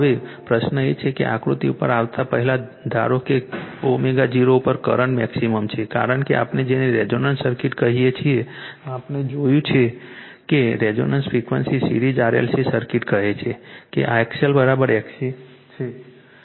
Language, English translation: Gujarati, Now question is that suppose before before coming to this figure suppose at omega 0 current is maximum becausefor your what we call for resonance circuit, we have seen that your the resonant frequency series RLc circuit say that XL is equal to XC